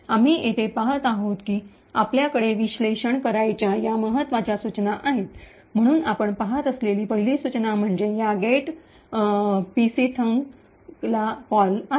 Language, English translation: Marathi, As we see over here these are the important instructions which we have to analyse, so first instruction we see is that there is a call to this get pc thunk